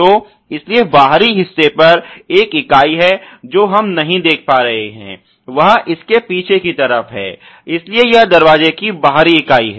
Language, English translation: Hindi, So, therefore, there is one member on the outer outside which we are not able to see it is on the rear side of this ok, so that is the door outer member